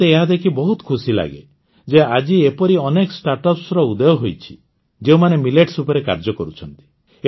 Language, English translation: Odia, It feels good to see that many such startups are emerging today, which are working on Millets